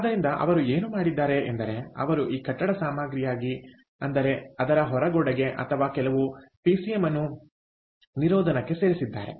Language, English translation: Kannada, so what they did, was they actually this, this, this building material, the outer wall, they added some pcm to the insulation